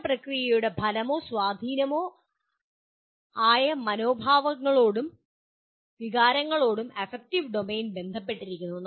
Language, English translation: Malayalam, The affective domain relates to the attitudes and feelings that result from or influence a learning process